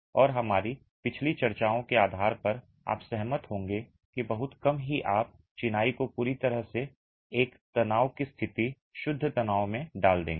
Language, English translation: Hindi, And based on our previous discussions, you will agree that very rarely would you put masonry into completely a tension kind of a situation, pure tension